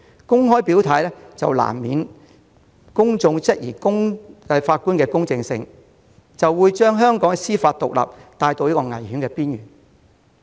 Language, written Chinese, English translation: Cantonese, 公開表態難免會令公眾質疑法官的公正性，將香港的司法獨立帶到危險邊緣。, If judges openly declare their stance members of the public will query their impartiality putting judicial independence in Hong Kong in a hazardous position